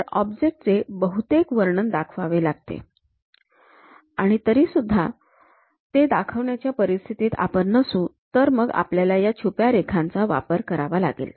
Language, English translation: Marathi, So, the object has to be shown with most of this description; if that is we are still in not in a position to really sense that, then we can use these hidden lines